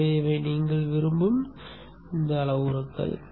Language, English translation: Tamil, So these are the parameters that you would like to